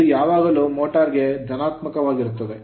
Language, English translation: Kannada, It will be for motor it will be always positive right